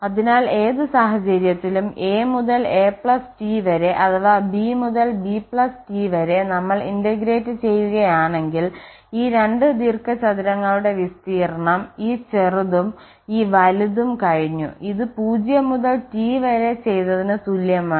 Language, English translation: Malayalam, So, ultimately in any case whether we are integrating form a to a plus T or b to b plus T, the area of these 2 rectangles the smaller one and this bigger 1 is covered